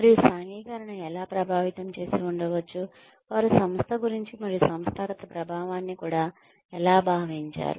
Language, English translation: Telugu, And, how the socialization may have impacted the way, they feel about the organization, and maybe even organizational effectiveness